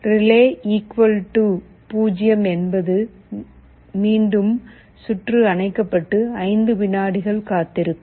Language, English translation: Tamil, relay = 0 means again, the circuit will be switched OFF and will wait for 5 seconds